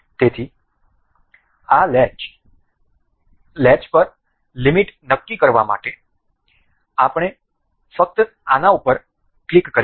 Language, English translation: Gujarati, So, to set limit in on to this latch, we will just click over this